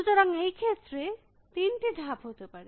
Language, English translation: Bengali, So, there are three moves possible in this case